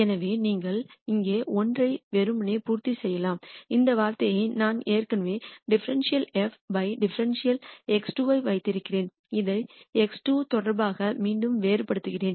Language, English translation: Tamil, So, you can simply fill in the minus 1 here and to get this term I already have dou f dou x 2 here I differentiate this again with respect to x 2